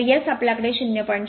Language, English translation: Marathi, So, S we have got 0